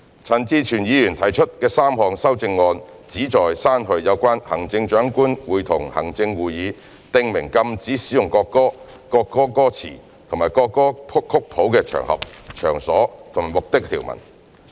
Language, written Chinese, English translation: Cantonese, 陳志全議員提出的3項修正案旨在刪去有關行政長官會同行政會議訂明禁止使用國歌、國歌歌詞或國歌曲譜的場合、場所或目的的條文。, The three amendments proposed by Mr CHAN Chi - chuen seek to delete provisions for the Chief Executive in Council to prescribe occasions places or purposes which the national anthem and the lyrics and score of the national anthem must not be used